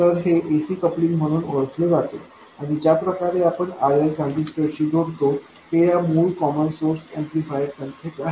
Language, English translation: Marathi, So, this is known as AC coupling and the way we connect RL to the transistor is exactly the same as our original common source amplifier we connected through a capacitor